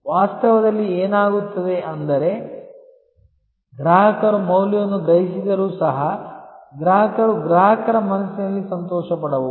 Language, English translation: Kannada, In reality, what happens is that, even though the customers perceived value, the customer may be delighted in customers mind